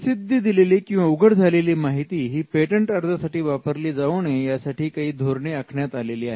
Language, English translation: Marathi, Now, there are some strategies that exist to ensure that the disclosure does not proceed the filing of the patent application